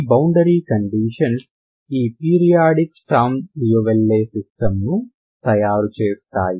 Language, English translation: Telugu, With these boundary conditions so it makes this periodic Sturm Liouville system